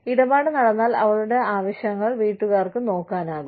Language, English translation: Malayalam, If the deal is done, the family is able, to look after, her needs